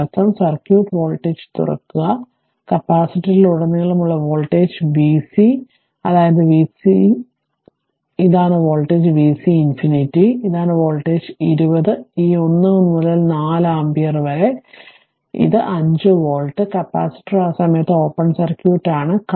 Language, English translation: Malayalam, That means and then then open circuit voltage, I mean voltage across the capacitor that v c infinity right, that is v c infinity this is the this is your voltage v c infinity this is the voltage right is equal to your this 20 into this 1 by 4 ampere, that is is equal to 5 volt right, because, capacitor is open circuit at that time